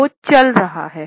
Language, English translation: Hindi, He is moving